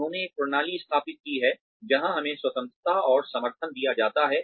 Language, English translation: Hindi, They have instituted a system in place, where we are given the freedom and support